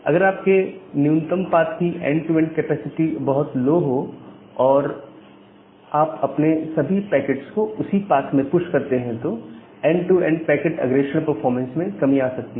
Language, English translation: Hindi, If your minimum path has a very low end to end capacity and if you push all the packets in that particular path, then there can be a degradation in end to end packet forwarding performance